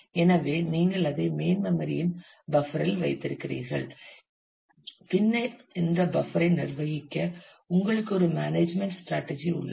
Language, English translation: Tamil, So, you keep it in the buffer in main memory, and then you have a management strategy to manage this buffer